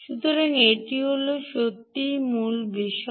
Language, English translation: Bengali, so thats, thats really the key point